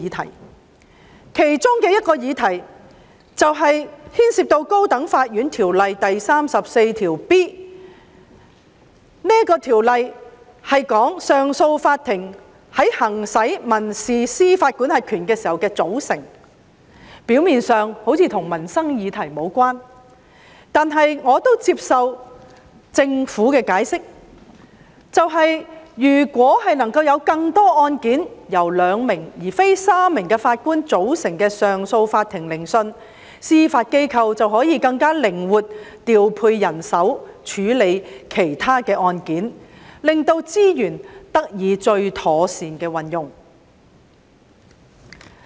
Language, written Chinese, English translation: Cantonese, 《條例草案》其中一個議題牽涉《高等法院條例》第 34B 條，旨在說明上訴法庭在行使民事司法管轄權時的組成，表面上似乎與民生議題無關，但我接受政府的解釋，即是如果能夠安排更多案件由兩名而非三名法官組成的上訴法庭進行聆訊，司法機構便可更靈活地調配人手處理其他案件，令資源得到最妥善的運用。, The amendment seeks to specify the composition of the Court of Appeal CA in civil jurisdiction . It seems unrelated to peoples livelihood . But I accept the Governments explanation in that if more cases are heard by a two - Judge CA instead of a three - Judge CA it will increase the flexibility in the deployment of judicial manpower for taking up other court cases and therefore put judicial resources to the best use